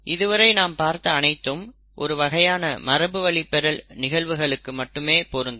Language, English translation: Tamil, Whatever we have seen so far is valid for a certain kind of inheritance